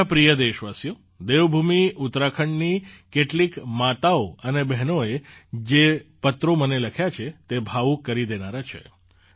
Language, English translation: Gujarati, My dear countrymen, the letters written by some mothers and sisters of Devbhoomi Uttarakhand to me are touchingly heartwarming